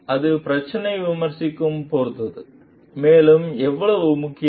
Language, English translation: Tamil, And it depends on the criticality of the issue also how important